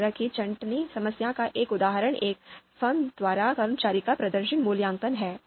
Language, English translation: Hindi, So, one example of this kind of sorting problem is performance appraisal of employees by a firm